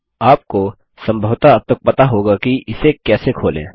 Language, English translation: Hindi, You probably know how to open this by now